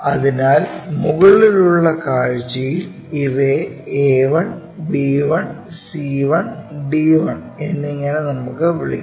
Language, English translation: Malayalam, Let us consider this a projection one a 1, b 1, c 1, d 1